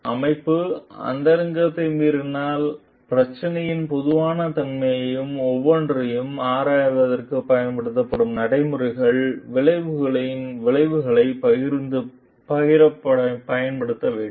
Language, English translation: Tamil, So, organization must, without violating privacy, make public the general nature of the problem, the procedure used to examine each and the consequences of the outcome